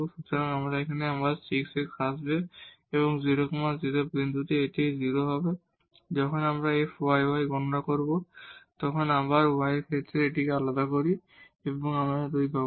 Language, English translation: Bengali, So, again here this 6 x will come and at 0 0 point this will be 0 and when we compute f yy, so we differentiate this with respect to y again, so we will get 2